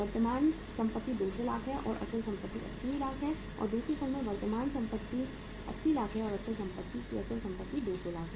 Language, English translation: Hindi, Current assets are 200 lakhs and the fixed assets are 80 lakhs and in the other firm the current assets are 80 lakhs and the fixed asset net fixed assets are 200 lakhs